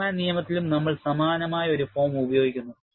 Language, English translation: Malayalam, We also use a similar form in Forman law